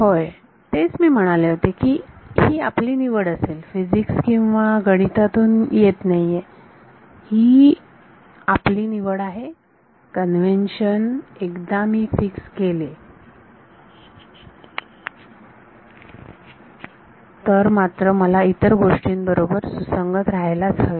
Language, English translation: Marathi, Yeah that is what I said it is my choice it is not a coming from physics or math it is a choice the convention, once I fix it, but then I have to be consistent with the rest